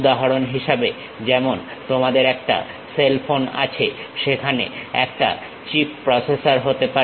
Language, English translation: Bengali, For example, like you have a cell phone; there might be a chip processor